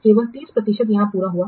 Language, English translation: Hindi, Only 30% is completed